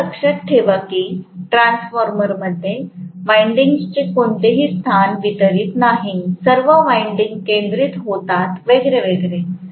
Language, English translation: Marathi, Please remember that in transformer, there is no space distribution of winding, all the windings were concentric and so on and so forth